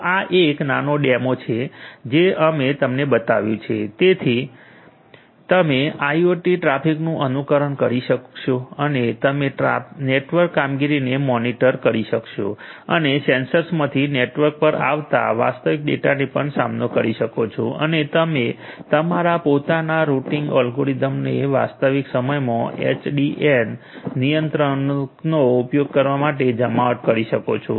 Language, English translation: Gujarati, So, this is a small demo we have shown to you so, that you can emulate the IoT traffic and you can a monitor the network performance, also you can phase the real data which are coming from the sensors to the network and you can deploy your own routing algorithm using the SDN controller in the real time to have let us say minimize delay or minimum loss or let us say that we want to have the maximize the network efficiency ok